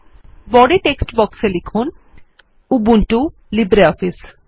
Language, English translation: Bengali, In the Body text box type:Ubuntu Libre Office